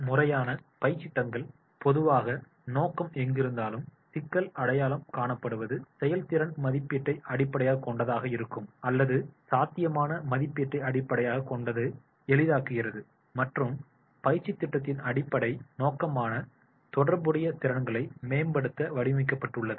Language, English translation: Tamil, Former training programs are generally purpose oriented that wherever is the problem, problem identification may be based on the performance appraisal or may be facilitating based on the potential appraisal and designed to improve relevant skills and competencies